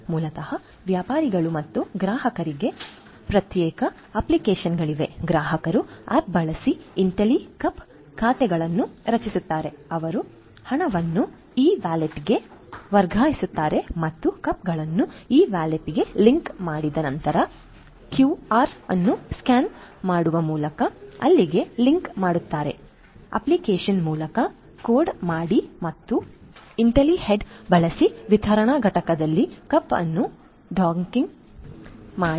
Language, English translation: Kannada, So, basically there are separate apps for the merchants and the customers, the customers create Intellicup accounts using the app, they transfer the funds to the e wallet us and linking there after the cups are linked to the e wallet by scanning a QR code via the app and docking the cup on the dispensing unit using the Intellihead